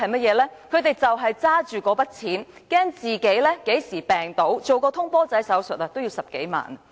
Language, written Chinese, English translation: Cantonese, 就是他們拿着那筆錢，擔心自己何時病倒，做"通波仔"手術也要10多萬元。, With that sum of money in hand they worry about when they will fall ill; an angioplasty costs more than a hundred thousand dollars